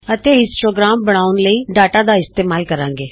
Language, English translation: Punjabi, and Use the data to construct a histogram